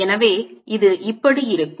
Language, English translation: Tamil, so this is consistent